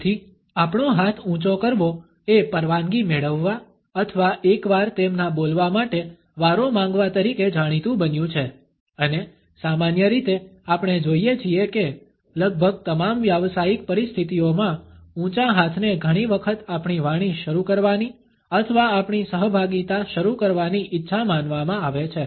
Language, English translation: Gujarati, Therefore, raising our hand has come to be known as seeking permission or getting once turned to his speak and normally we find that in almost all professional situations, a raised hand is often considered to be a desire to begin our speech or begin our participation